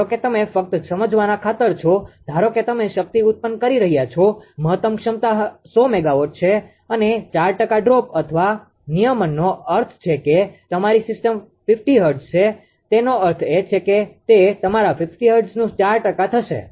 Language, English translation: Gujarati, Suppose you are just ah for the sake of ah understanding suppose you are ah power generating maximum capacity is 100 megawatt and 4 percent droop or regulation means suppose your system is your ah 50 hertz; that means, it will be your 50 hertz into 4 percent